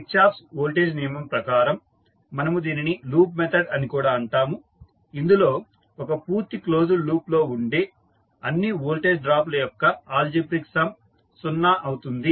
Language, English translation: Telugu, For Kirchhoff’s voltage law, we also say that it is loop method in which the algebraic sum of all voltage drops around a complete close loop is zero